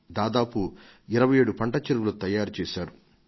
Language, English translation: Telugu, They have already created 27 farm ponds